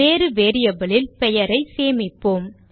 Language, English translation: Tamil, Well store the name in a different variable